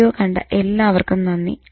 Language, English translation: Malayalam, Thank you very much for watching this video